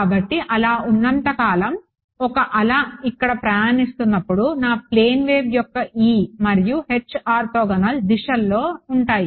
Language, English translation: Telugu, So, as long as so, the wave is travelling over here my E and H are going to be in orthogonal directions for a plane wave right